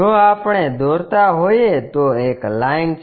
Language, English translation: Gujarati, There is a line if we are drawing